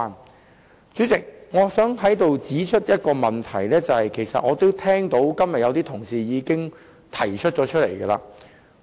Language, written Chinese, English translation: Cantonese, 代理主席，我想指出一個其實今天有些同事也曾提出的問題。, Deputy President I wish to talk about an issue which some Honourable colleagues have actually touched upon today